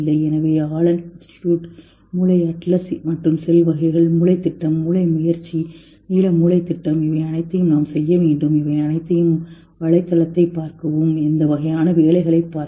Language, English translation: Tamil, So, LNA Institute, Brain Atlas and Cell Types, Brain Project, Brain Initiative, Blue Brain Project, all these things you should see the websites of all this and see the type of work